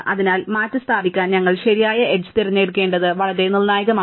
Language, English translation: Malayalam, So, it is very crucial that we choose that correct edge to replace